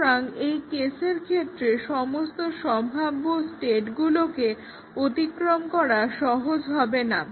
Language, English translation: Bengali, So, we may not be possible, it may not be easy to traverse all possible states in that case